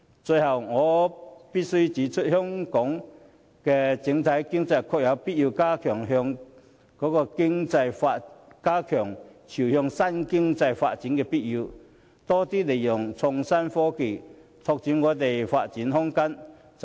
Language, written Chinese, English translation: Cantonese, 最後，我必須指出，香港的整體經濟確有必要進一步朝向新經濟發展，多加利用創新科技，拓闊發展空間。, Finally I must highlight that our overall economic development must move further towards the new economy by optimizing the use of innovation and technology to extend development opportunities